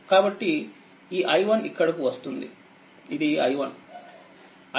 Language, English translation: Telugu, So, this i 1 is coming here this is your i 1